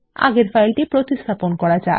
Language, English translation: Bengali, Here let us replace the file